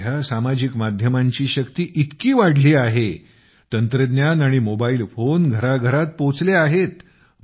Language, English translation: Marathi, Nowadays, the power of social media is immense… technology and the mobile have reached every home